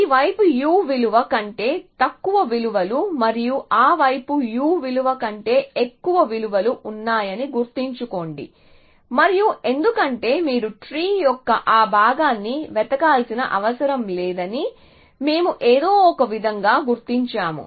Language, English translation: Telugu, Remember that this side is values lesser than u and that side is values greater than you and because u is on upper bound on cause that we have somehow figured out we know that we do not have to search that part of the tree